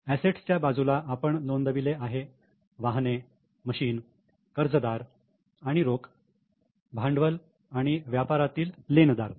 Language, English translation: Marathi, On asset side we have recorded motor vehicle, machinery, debtors and cash capital and trade creditors